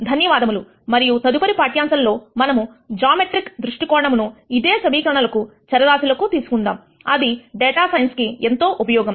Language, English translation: Telugu, Thank you and in the next lecture we will take a geometric view of the same equations and variables that is useful in data science